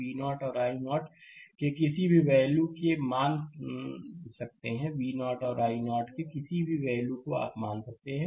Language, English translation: Hindi, We may assume any value of V 0 and i 0 that any value of V 0 and i 0, you can assume